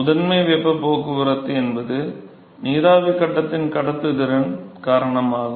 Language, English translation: Tamil, So, the primary heat transport is because of the conductivity of the vapor phase ok